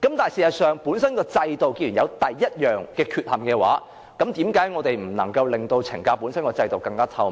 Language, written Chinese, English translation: Cantonese, 但事實上，既然制度本身有第一種缺陷，為何我們不能令懲教本身的制度更透明？, But as the system itself is flawed why can we not introduce more transparency into the correctional services?